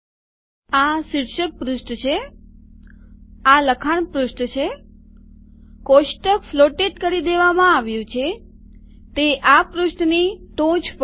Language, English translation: Gujarati, So now what has happened is this is the title page, this is the text page, the table has been floated, it has gone to the top of this page